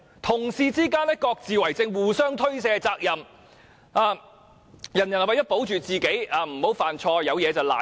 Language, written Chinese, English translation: Cantonese, 同事之間各自為政，互相推卸責任，人人為求自保，不想犯錯，於是便事事諉過於人。, In order to protect themselves and avoid making mistakes they would lay the blame on others in respect of almost everything